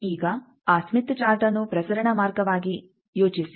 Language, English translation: Kannada, Now think of that Smith Chart as a transmission line